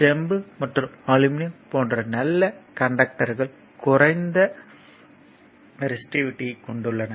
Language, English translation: Tamil, So, good conductors such as copper and aluminum have low resistivity